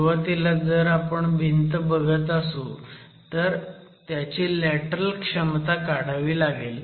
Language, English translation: Marathi, You are talking of walls, you want to start estimating the lateral capacity of each wall